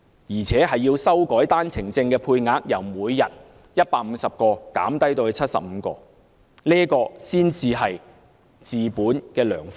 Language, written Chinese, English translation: Cantonese, 此外，政府必須修改單程證的配額，由每天150個減至75個，這才是治本的良方。, Moreover the daily quota for One - way Permits should be reduced from 150 to 75 this is the ideal solution to the root of the problem